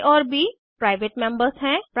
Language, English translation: Hindi, a and b are private members